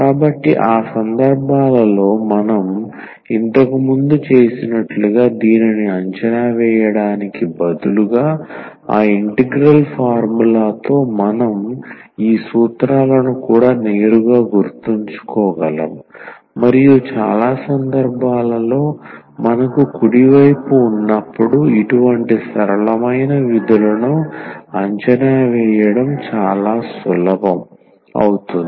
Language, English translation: Telugu, So, in those cases, instead of evaluating this like we have done earlier with the help of that integral formula, we can also directly remember these formulas and that will be much easier in many cases to evaluate when we have the right hand side the simple such simple functions